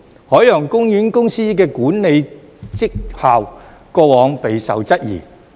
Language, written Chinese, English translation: Cantonese, 海洋公園公司的管理績效過往備受質疑。, The management performance of the Ocean Park Corporation has been called into question